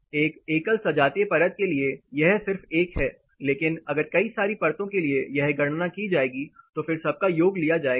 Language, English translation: Hindi, For a single homogeneous layer it is just 1, but as many layers this will be calculated and then totaled out